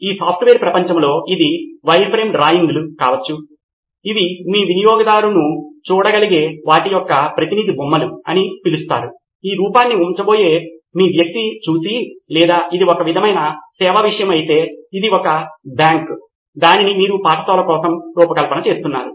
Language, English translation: Telugu, In this software world it could be wireframe drawings as they call it just representative sketches of what possibly could your user be looking at, your person who is going to use this look at, if it is a sort of service thing, it is a bank that you are designing it for a school